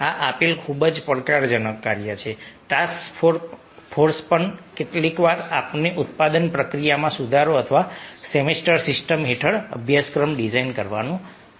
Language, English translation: Gujarati, given task force is also sometimes able, say, the improvement of a production process or designing the syllabus under semester system